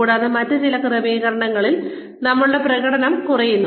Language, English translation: Malayalam, And, in certain other setting, our performance tends to go down